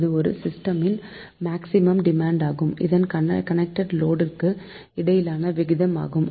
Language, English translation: Tamil, it is the ratio of the maximum demand of a system to the total connected load of the system